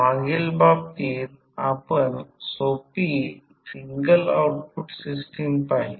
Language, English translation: Marathi, In the previous case we saw the simple single output system